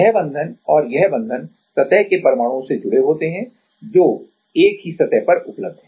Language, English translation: Hindi, This bond and this bond are connected to the surface atoms, which are also available on the same surface